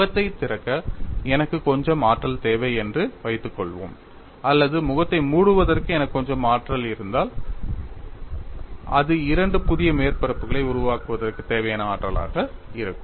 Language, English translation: Tamil, Suppose I require some energy to open the face or if I have some energy to close the face, that would be the energy required for formation of two new surfaces